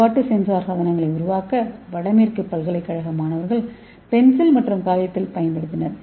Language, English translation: Tamil, so students from Northwestern University, so they used pencil and paper to create functional sensor devices